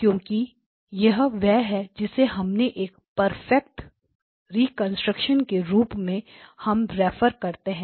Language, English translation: Hindi, Because this is what we refer to as perfect reconstruction